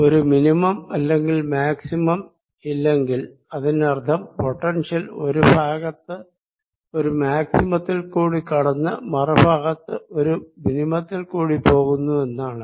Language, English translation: Malayalam, let's understand that if there is no minimum or maximum, that means the potential is going through a maxim on one side, a minimum from the other side